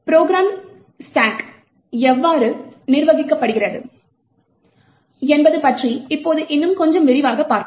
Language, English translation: Tamil, Now we will look a little more in detail about how the stack is managed in the program